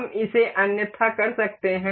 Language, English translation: Hindi, We can do it otherwise